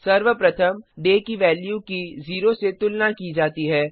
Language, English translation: Hindi, First the value of day is compared with 0